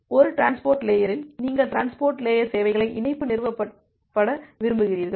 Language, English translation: Tamil, So, in a transport layer if you want to get the transport layer services along with connection established state